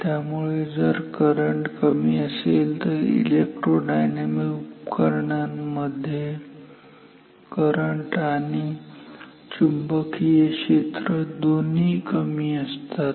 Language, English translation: Marathi, Therefore, if the current is low in this instrument electro dynamic both the magnetic field and current both of them becomes low